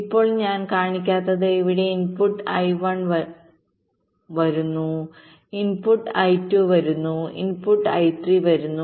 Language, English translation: Malayalam, now, what i have not shown is that here, the input i one is coming here, the input i two is coming here, the input i three is coming